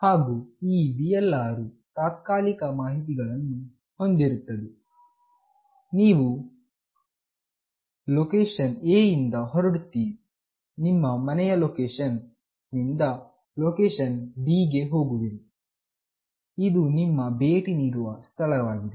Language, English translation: Kannada, And then this VLR contains temporary information, when you move let us say from location A, which is your home location to location B, which is the visitor location